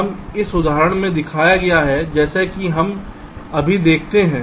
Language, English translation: Hindi, this is shown in these example, as we see now